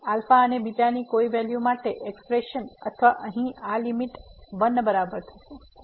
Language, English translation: Gujarati, So, for what values of alpha and beta this expression here or this limit here is equal to